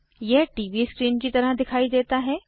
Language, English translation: Hindi, It looks like a TV screen